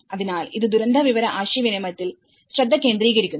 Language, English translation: Malayalam, So, it focuses on the disaster information communication